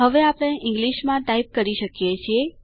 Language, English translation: Gujarati, We can now type in English